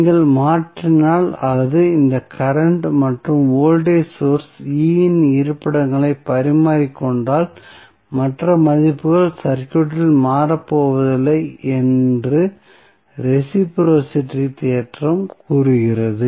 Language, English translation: Tamil, So, what reciprocity theorem says that if you replace if you exchange the locations of this current and voltage source, E, then the other values are not going to change in the circuit